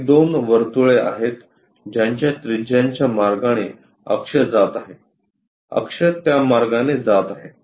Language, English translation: Marathi, These are two circles having radius may axis is passing in that way, axis is passing in that way